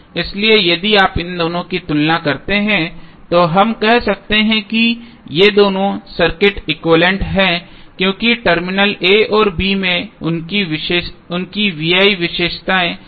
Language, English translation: Hindi, So, if you compare these two we can say that these two circuits are equivalent because their V I characteristics at terminal a and b are same